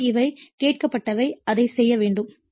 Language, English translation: Tamil, So, these are the thing have been asked to and you have to do it